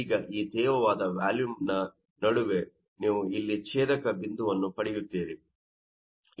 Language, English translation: Kannada, Now in between this humid volume, you are getting the intersection point here